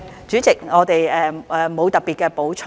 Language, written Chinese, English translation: Cantonese, 主席，我們沒有特別補充。, President we have nothing special to add